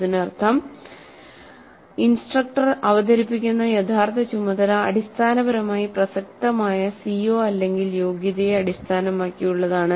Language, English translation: Malayalam, That means the actual task that the instructor presents is essentially based on the COO or the competency that is relevant